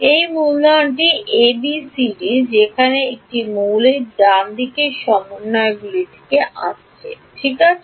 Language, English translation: Bengali, Where these capital A B C D they come from the coordinates of the element right